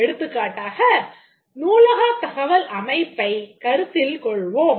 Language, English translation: Tamil, For example, let's take about the library information system